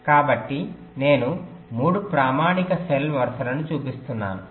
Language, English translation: Telugu, so i am showing three standard cell rows right now